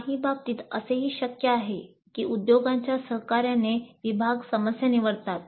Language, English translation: Marathi, It's also possible in some cases that the department in collaboration with industry selects the problems